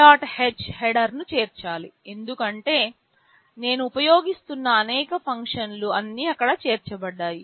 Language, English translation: Telugu, h header because many of the functions I am using are all included there